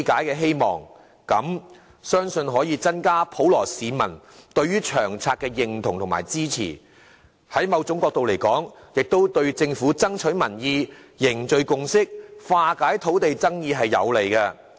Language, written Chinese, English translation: Cantonese, 如此的話，相信可以增加普羅市民對《長遠房屋策略》的認同及支持，在另一角度而言，亦有利政府爭取民意、凝聚共識，以及化解土地爭議。, By doing so I trust that LTHS will gain more support and recognition from the general public . From another perspective this will be beneficial to the Government in securing support of public opinion forging consensus among the community and resolving disputes over land issues